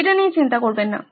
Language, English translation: Bengali, Don’t worry about it